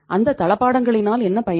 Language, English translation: Tamil, What is the use of that furniture